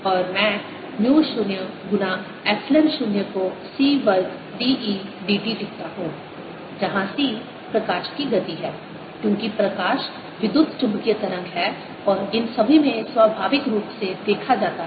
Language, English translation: Hindi, and let me write mu zero times epsilon zero, as one over c square: d, e, d t, where c is the speed of light, because light is electromagnetic wave and seen naturally into all this